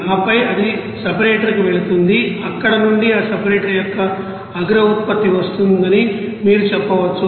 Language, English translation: Telugu, And then it will be going to the separator from where you can say that top product of that you know separator will be coming